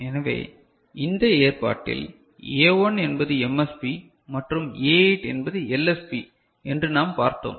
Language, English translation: Tamil, So, here A1 is MSB and A8 is LSB fine